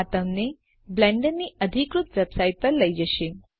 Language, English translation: Gujarati, This should take you to the official blender website